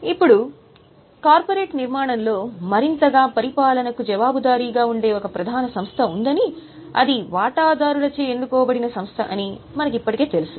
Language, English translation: Telugu, Now, further into the structure, we already know there is a board that's a major body accountable for governance and that's a elected body by the shareholders